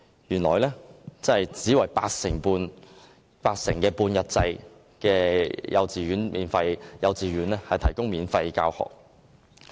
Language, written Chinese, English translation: Cantonese, 原來政府只為佔八成的半日制幼稚園提供免費教學。, Actually only the half - day kindergartens which account for merely 80 % of the total are offering free education